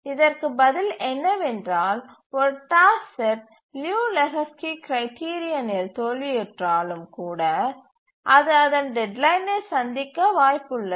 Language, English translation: Tamil, The answer to this is that even when a task set fails the Liu Lejou Lehchkis criterion, still it may be possible that it may meet its deadline